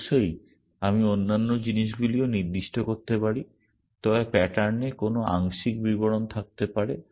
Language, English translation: Bengali, Of course, I can specify other things also, but any partial description can be there in the pattern